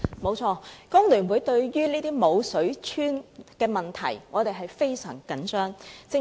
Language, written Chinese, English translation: Cantonese, 沒錯，工聯會對於這些"無水村"的問題非常關注。, It is true that FTU is hugely concerned about these no water villages